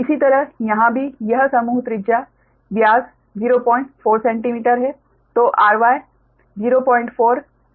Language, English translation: Hindi, similarly, here also this group, radius is, diameter is point four, centimeter